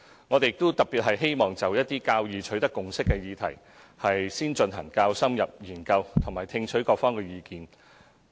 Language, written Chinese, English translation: Cantonese, 我們特別希望就一些較易取得共識的議題，進行較深入研究並聽取各方的意見。, We especially wish to conduct more in - depth studies and collect the views of various interested parties on subjects which are easier to attain a consensus